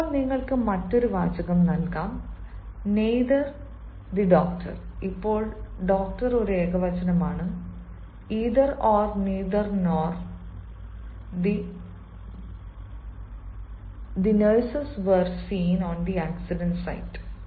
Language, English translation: Malayalam, now you can have another sentence: neither the doctor now doctor is a singular nor the nurses were seen on the accident site